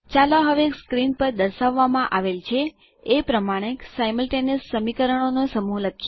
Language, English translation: Gujarati, Let us write a set of Simultaneous equations now as shown on the screen